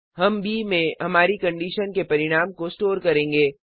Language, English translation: Hindi, We shall store the result of our condition in b